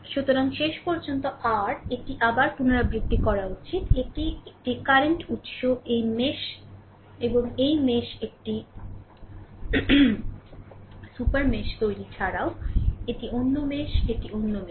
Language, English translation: Bengali, So, ultimately your this is I should repeat again, this is a current source between this mesh and this mesh creating a super mesh also, this is another mesh, this is another mesh